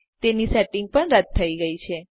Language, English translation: Gujarati, Its settings are gone as well